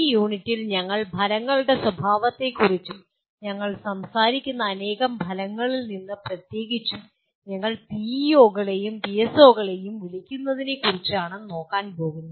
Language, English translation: Malayalam, In this unit we are going to look at the nature of outcomes and out of the several outcomes we talk about, we are particularly looking at what we call PEOs and PSOs